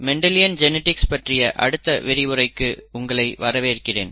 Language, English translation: Tamil, Welcome to the next lecture on Mendelian genetics